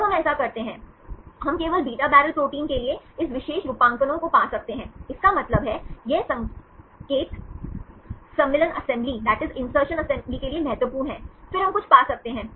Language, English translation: Hindi, When we do this, we can find this particular motif, only for the beta barrel proteins; that means, this signal is important for the insertion assembly, then we can find something